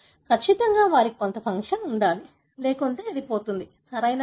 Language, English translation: Telugu, Certainly they should have some function, otherwise it would have been lost, right